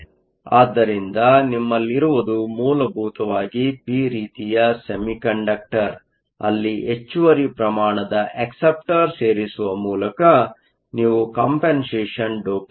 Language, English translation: Kannada, So, what you have is essentially a p type semiconductor, where you have done compensation doping by adding excess amount of acceptors